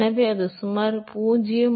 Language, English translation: Tamil, So, that will be about 0